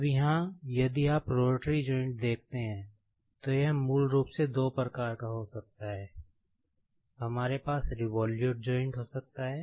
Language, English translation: Hindi, Now, here so, if you see the rotary joint, it could be of two types basically, we could have the revolute joint, and there could be twisting joint